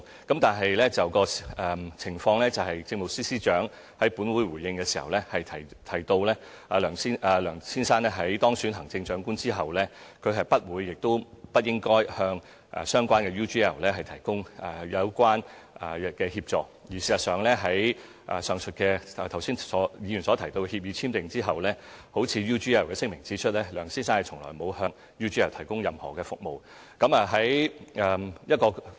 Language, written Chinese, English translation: Cantonese, 但情況是，政務司司長在本會作出回應的時候，提到梁先生在當選行政長官後，他不會亦不應該向相關公司 UGL 提供有關協助，而事實上，在議員剛才所提到的協議簽訂之後，正如 UGL 的聲明所指，梁先生從來沒有向 UGL 提供任何服務。, However the Chief Secretary for Administration mentioned in her reply given in this Council that Mr LEUNG would not and should not offer relevant assistance to UGL the company concerned after his was elected Chief Executive . As a matter of fact after the agreement mentioned by Members just now was entered into Mr LEUNG had never provided any services to UGL same as what the company had pointed out in its statement